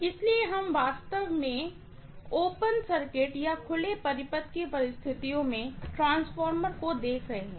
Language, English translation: Hindi, So, we are actually looking at the transformer under open circuit conditions